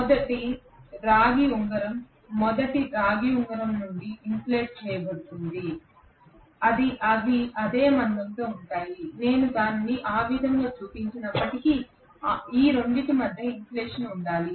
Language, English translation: Telugu, The second copper ring again will be insulated from the first copper ring they will be of same thickness although I have not shown it that way, that should be insulation between these two